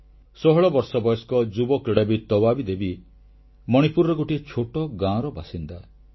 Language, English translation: Odia, 16 year old player Tabaabi Devi hails from a village in Manipur